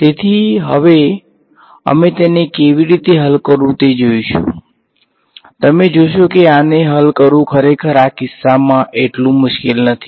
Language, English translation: Gujarati, So, now we will look at how to solve it you will see that solving this is actually not that difficult at least in this case